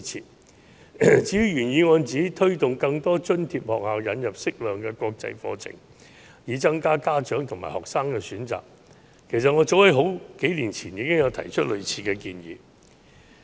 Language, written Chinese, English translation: Cantonese, 至於原議案指當局應推動更多津貼學校引入適量的國際課程，以增加家長和學生的選擇，其實我早在數年前已提出類似建議。, The original motion has stated that the authorities should encourage more subsidized schools to introduce a suitable proportion of international curriculum to give parents and students more choices . In fact I made a similar suggestion already a few years ago